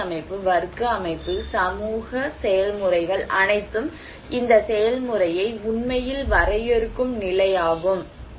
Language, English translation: Tamil, And social stratifications like caste system, class system, the status that all actually define this process